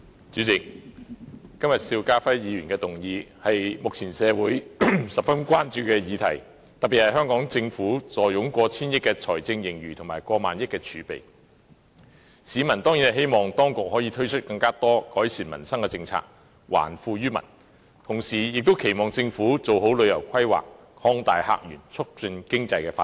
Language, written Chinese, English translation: Cantonese, 主席，今天邵家輝議員提出的議案是目前社會十分關注的議題，特別是香港政府坐擁過千億元財政盈餘和過萬億元儲備，市民當然希望當局可以推出更多改善民生的政策，還富於民，同時亦期望政府做好旅遊規劃，擴大客源，促進經濟發展。, President the motion proposed by Mr SHIU Ka - FaiI today is a topic of great concern to the community currently and particularly as the Hong Kong Government has a fiscal surplus exceeding a hundred billion dollars and a reserve of over a thousand billion dollars members of the public certainly hope that the authorities can introduce more policies to improve the peoples livelihood and return wealth to the people . In the meantime they also hope that the Government will make planning for tourism properly to open up new visitor sources thereby facilitating economic development